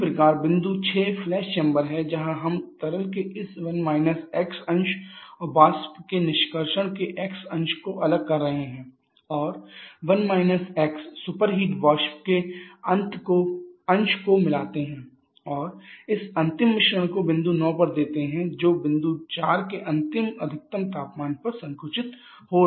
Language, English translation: Hindi, Similarly the point 6 is the flushed chamber where we are separating this 1 – x fraction of liquid and extraction of vapour this extraction of vapour and 1 – x fraction of superheated vapour they are mixing and giving this final mixture a point at state point 9 which is getting compressed to final maximum temperature of point 4